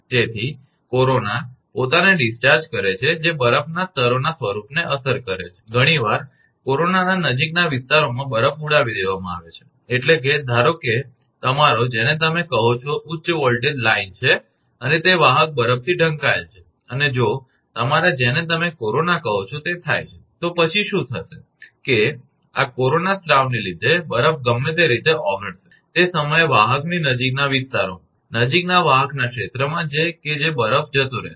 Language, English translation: Gujarati, So, corona discharges themselves which affect the form of snow layers are often blow off the snow in the neighbouring regions of corona, that means, suppose your, what you call it is high voltage line and that is conductor is covered by snow and if your what you call that corona the happens, then what will happen that due to this corona discharge that snow will melt in anyway, at the same time on the conductor nearby areas, nearby region of the conductor that snow will be blown off